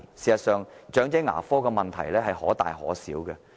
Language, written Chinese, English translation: Cantonese, 事實上，長者牙科的問題可大可小。, Actually elderly dental problems may or may not be serious